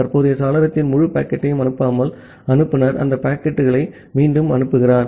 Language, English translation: Tamil, And the sender retransmit that packets without sending the whole packet of the current window